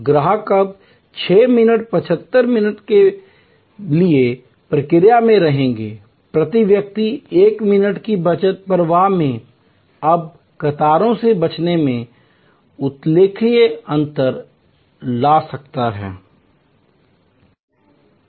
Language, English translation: Hindi, 75 minutes, saving of 1 minute per person can make a remarkable difference in the flow and in avoidance of queues